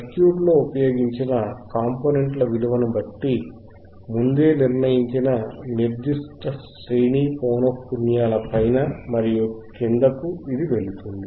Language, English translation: Telugu, It will pass above and pass above and below particular range of frequencies whose cut off frequencies are predetermined depending on the value of the components used in the circuit